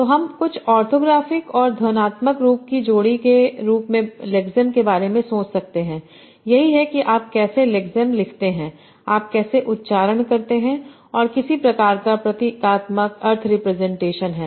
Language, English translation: Hindi, So I will have, so I can think of lexime as a pairing of some orthographic and phonological form, that is how do you write the lexine, how do you pronounce that, and with some sort of symbolic meaning differentiation